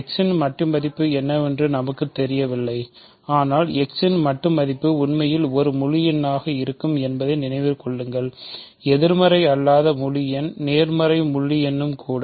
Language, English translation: Tamil, I do not know what absolute value of x is, but remember absolute value of x will be also an integer in fact, a non negative integer; because; positive integer even